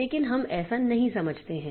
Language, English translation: Hindi, But we do not understand that